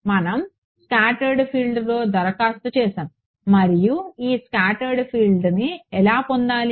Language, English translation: Telugu, We applied on the scatter field and how do we get this scatter field